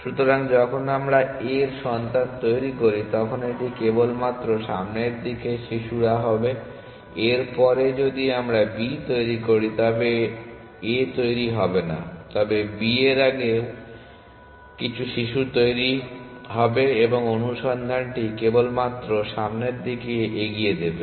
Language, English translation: Bengali, So, when we when we generate children of a it will only be the forward looking children after a if we generate b then a will not be generated, but some other children of b would be generated and the search will only push in the forward direction